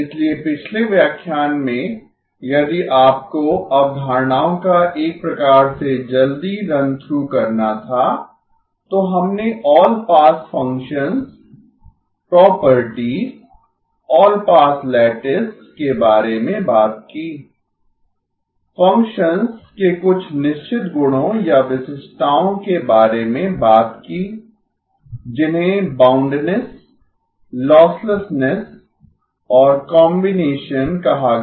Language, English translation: Hindi, So in the last lecture, if you had to sort of quickly run through the concepts, we talked about all pass functions, properties, all pass lattice, talked about certain qualities or characteristics of functions called boundedness, losslessness and the combination